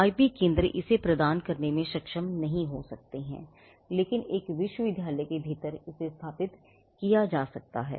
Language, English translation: Hindi, IP centres may not be able to provide this, but this is again something in within a university set up it could make sense